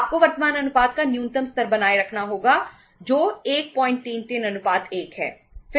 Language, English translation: Hindi, You have to maintain minimum the level of current ratio that is 1